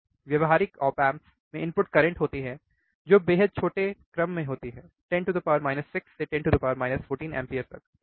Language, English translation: Hindi, The practical op amps have input currents which are extremely small order of minus 6 minus 14 ampere, right